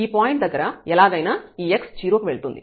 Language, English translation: Telugu, At this point here anyway this x goes to 0